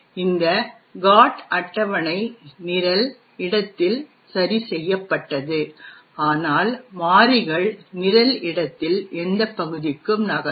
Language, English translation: Tamil, This GOT table is fixed in the program space, but the variables move into any region in the program space